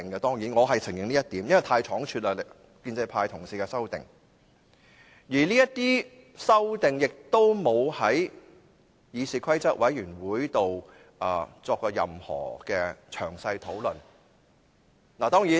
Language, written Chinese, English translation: Cantonese, 當然，我是承認這一點的，因為建制派同事的修正案是倉卒提出，而這些修正案亦沒有在議事規則委員會會議中作任何詳細討論。, I honestly admit that as the amendments from the pro - establishment camp are hastily proposed and they have not been deliberated by the Committee on Rules of Procedure during the meetings